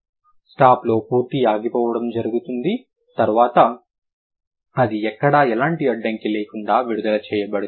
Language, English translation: Telugu, In stop there is a complete closure then it gets released without any kind of blockage anywhere